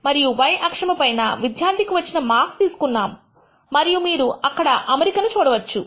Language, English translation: Telugu, And the y axis we have plotted the marks obtained by the student and you can see there is an alignment